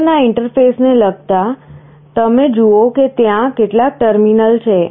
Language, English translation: Gujarati, Regarding the interface of the motor, you see there are some terminals